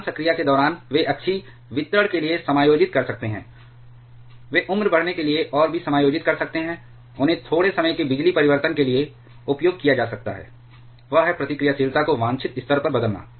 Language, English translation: Hindi, Normal during normal operation they can adjust for the axial distribution, they can adjust for the aging and also, they can be used for a short time power change; that is, by changing the reactivity to the desired level